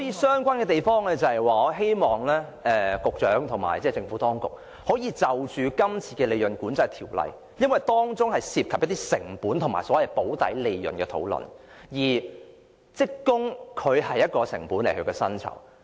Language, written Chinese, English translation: Cantonese, 相關的地方是我希望局長和政府當局可以藉着今次有關利潤管制的商議作出跟進，因為當中涉及成本和所謂"補底利潤"的討論，而職工薪酬是其中一項成本。, They are related in that I hope the Secretary and the Administration can follow up the issue through this negotiation on profit control as it involves the discussion on cost and the so - called guaranteed profit and employees salaries are part of the cost